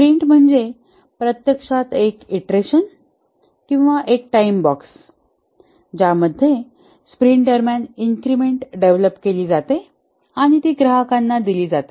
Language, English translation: Marathi, A sprint is actually an iteration or a time box in which an increment is developed during a sprint and is delivered to the customer